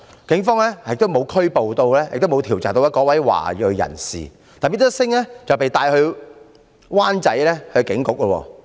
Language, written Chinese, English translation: Cantonese, 警方沒有調查和拘捕該名華裔人士，但 Mr SINGH 卻被帶到灣仔警署。, The Police did not make enquiries of the adult nor arrested her . Instead they took Mr SINGH to Wan Chai Police Station